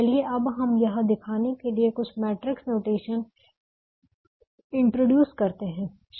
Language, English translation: Hindi, now let's introduce some matrix notation just to show this